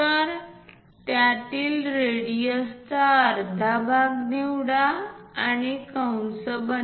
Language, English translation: Marathi, So, pick a radius half of that, make an arc